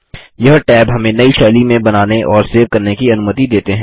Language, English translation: Hindi, These tabs allow us to create and save new styles